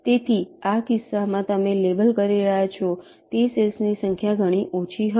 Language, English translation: Gujarati, so number of cells you are labeling in this case will be much less